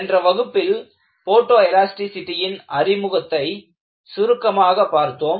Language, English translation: Tamil, In the last class, we had a brief introduction to Photoelasticity